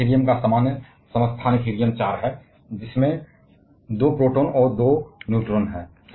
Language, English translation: Hindi, Of course, the common isotope of helium is helium 4 which has 2 protons and 2 neutrons